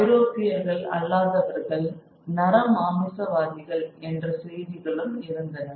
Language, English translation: Tamil, There were also reports of non Europeans as cannibals